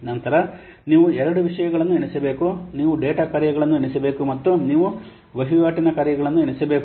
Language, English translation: Kannada, The you have to count the data functions as well as you have to count the transaction functions